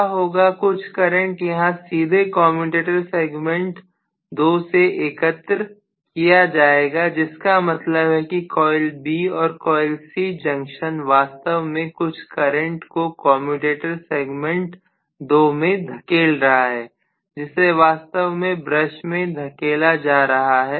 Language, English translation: Hindi, What will happen is some current will be collected here directly from commutator segment 2 which means coil B and coil C junction is actually pushing some current into the commutator segment 2 which is actually being pushed into the brush